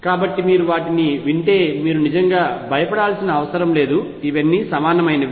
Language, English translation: Telugu, So, that if you hear them you do not really feel intimidated what it is all these are equivalent